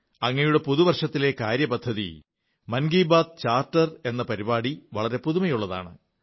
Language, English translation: Malayalam, The Mann Ki Baat Charter in connection with your New Year resolution is very innovative